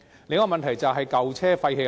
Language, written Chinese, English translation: Cantonese, 另一個問題便是舊車廢棄的問題。, The other problem is the issue of abandoned old vehicles